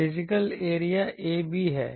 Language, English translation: Hindi, Physical area is ab